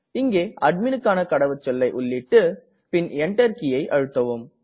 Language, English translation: Tamil, I will give the Admin password here and Enter